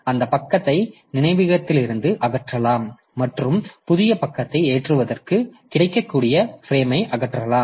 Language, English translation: Tamil, So, that page or that particular page can be removed from the memory and the corresponding frame made available for loading the new page